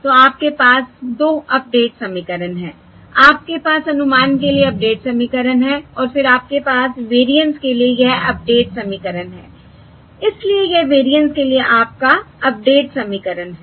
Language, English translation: Hindi, So you have 2 update equations: you have the update equation for the estimate and then you have this update equation for the variance